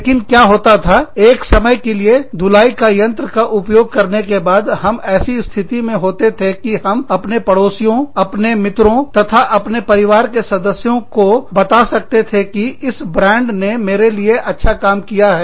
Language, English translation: Hindi, But, what happened was, after using a washing machine, for a period of time, we were in a position to tell, our neighbors, and our friends, and our family members that, okay, this brand has worked well, for me